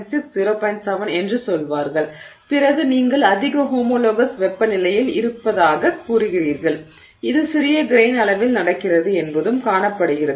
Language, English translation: Tamil, 7 then you are saying you are at a high homologous temperature and it is also seen that this happens at small grain size